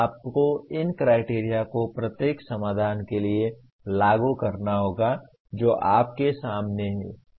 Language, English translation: Hindi, You have to apply these criteria to the each one of the solutions that you have in front